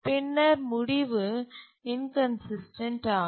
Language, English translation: Tamil, So it becomes inconsistent